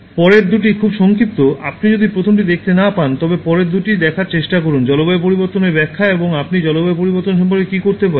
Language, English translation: Bengali, The next two are very short, if you cannot watch the first one, try to watch the next two—Climate Change Explained and What You Can Do About Climate Change